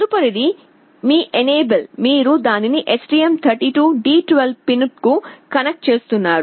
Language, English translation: Telugu, Then next one is your enable, you are connecting it to the STM32 D12 pin